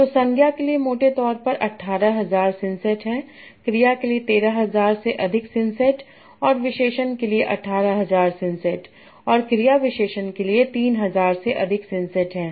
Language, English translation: Hindi, So there are roughly 18,000 synsets for nouns, 13,000 plus insets for verb, and 18,000 plus insets for adjective, and 3,000 plus for adverbs